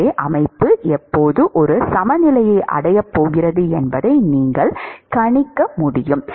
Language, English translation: Tamil, So, that you have to you should be able to predict when the system is going to reach an equilibrium